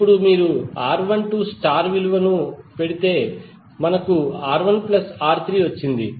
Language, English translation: Telugu, Now, if you put the values of R1 2 star, we got R1 plus R3